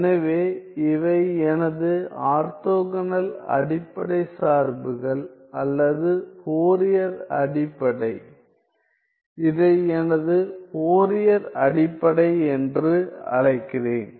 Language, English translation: Tamil, So, these are my orthogonal basis functions or the Fourier basis, I call this as my Fourier basis